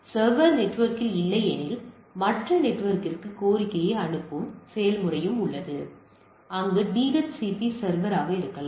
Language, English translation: Tamil, As I was mentioning that if it is the server is not within the network there is process of relaying the request to the other network there may the DHCP server